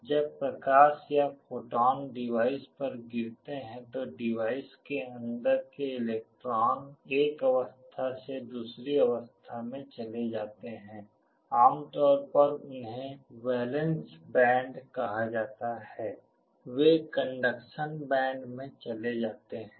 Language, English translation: Hindi, When light or photons fall on the device the electrons inside the device move from one state to the other, typically they are called valence band, they move to the conduction band